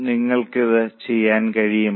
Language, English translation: Malayalam, All are able to do it